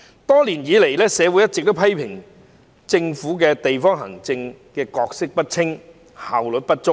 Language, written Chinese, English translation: Cantonese, 多年來，社會一直批評政府的地區行政角色不清，效率不足。, Over the years people have been criticizing the Government for playing an unspecific role in district administration and for its poor efficiency